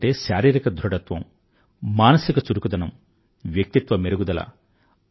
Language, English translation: Telugu, Sports means, physical fitness, mental alertness and personality enhancement